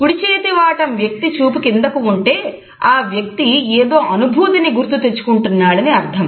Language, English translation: Telugu, If the gaze is down towards a right hand side the person might be recalling a feeling